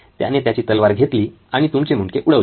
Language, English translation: Marathi, He takes his sword out, off goes your head